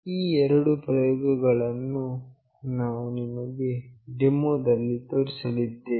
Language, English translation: Kannada, These are the two experiments that we will be showing you in the demonstration